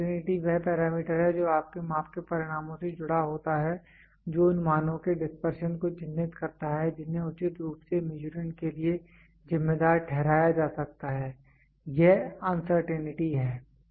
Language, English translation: Hindi, Uncertainty is the parameter that is associated with the results of your measurement that characterizes the dispersion of the values that could reasonably be attributed to the Measurand, this is uncertainty